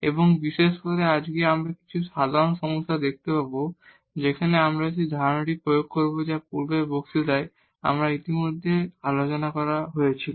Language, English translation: Bengali, And in particular today we will see some typical problems where, we will apply the idea which was discussed already in previous lectures